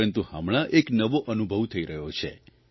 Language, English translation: Gujarati, But these days I'm experiencing something new